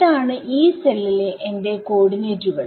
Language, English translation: Malayalam, These are the coordinates that are on my Yee cell